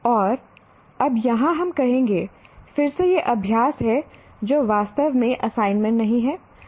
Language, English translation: Hindi, And now here we will say again these are exercises which are not actually assignments